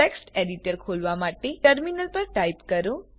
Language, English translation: Gujarati, To open the text editor, type on the terminal